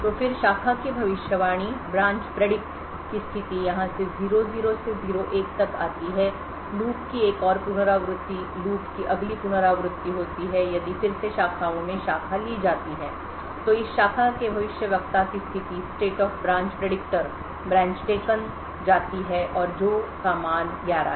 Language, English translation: Hindi, So then the state of the branch predict comes from here to from 00 to 01 another iteration of the loop the next iteration of the loop if again the branch in the branches is taken then a the state of this branch predictor moves to predicted taken and which has a value of 11